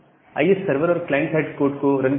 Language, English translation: Hindi, Now, let us run the server and the client side code